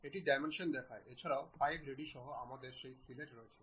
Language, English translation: Bengali, It shows the dimension also with 5 radius we have that fillet